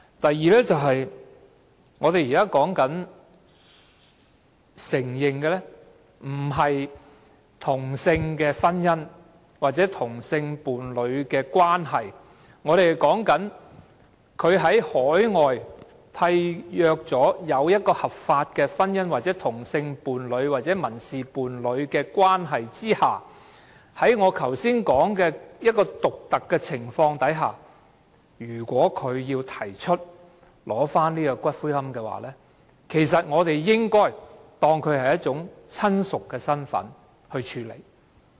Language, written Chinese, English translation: Cantonese, 第二，我們現在討論的，並不是承認同性婚姻或同性伴侶的關係，而是在海外締約的合法婚姻關係、同性伴侶或民事伴侶關係下，在我前述的獨特情況下，當他們要求領取死者的骨灰時，我們便應該視他們為死者的親屬來處理。, Second our present discussion is not about whether or not same - sex marriage or same - sex couple relationship should be recognized . Our concern is about persons who have legally married to the deceased overseas who are a same - sex partner of or in a civil partnership with the deceased should be regarded as the relatives of the deceased when they claim the ashes of the deceased under the specified circumstance I mentioned just now